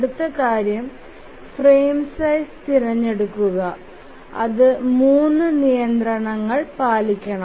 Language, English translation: Malayalam, Now the next thing is to select the frame size and we have to see that it satisfies three constraints